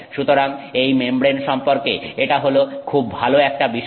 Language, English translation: Bengali, So, this is the nice thing about this membrane